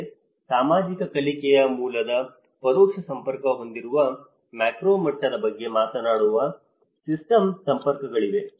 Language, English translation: Kannada, But the system networks which talks about the macro level which has an indirect network which is through the social learning